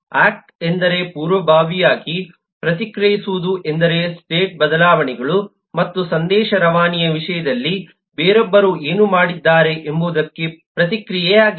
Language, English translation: Kannada, act means proactively, react means in response to what somebody else has done in terms of state changes and message passing